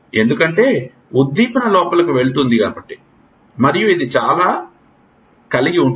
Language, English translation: Telugu, Because stimulus goes in and it will goes like this